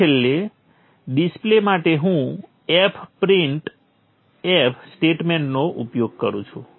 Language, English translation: Gujarati, Then finally the display, I have used the F print of statement